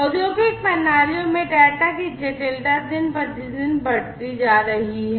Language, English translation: Hindi, The complexity of data in industrial systems is increasing day by day